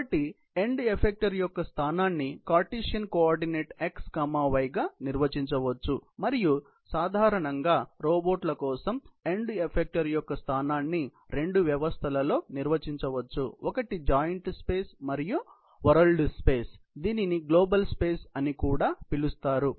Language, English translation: Telugu, So, the position V of the end effector can be defined in Cartesian coordinate as x, y and generally for robots, the location of the end effector can be defined in two systems; one is the joint space and the world space, also known as the global space